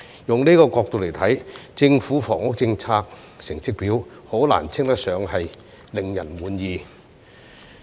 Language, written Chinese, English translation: Cantonese, 以這個角度來看，政府房屋政策成績表難以稱得上令人滿意。, From this perspective the Governments performance in terms of housing policy can hardly be considered satisfactory